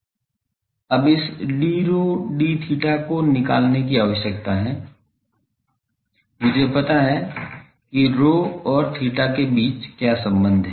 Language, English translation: Hindi, Now, this d rho d theta needs to be evaluated, I know what is the relation between rho and theta